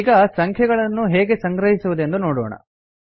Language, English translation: Kannada, Now let us see how to store a number